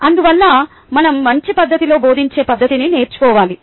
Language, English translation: Telugu, therefore, i must learn the methodology to teach in a good manner